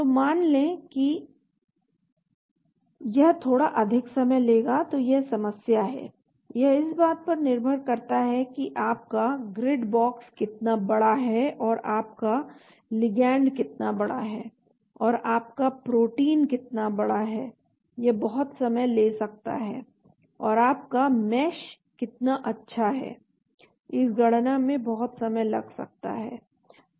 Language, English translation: Hindi, So assume that, it will take little bit more time so, that is the problem, depending upon how big is your grid box and how big is your ligand and how big is your protein, it can take lot of time and how fine is your mesh, it can take lot of time in the calculations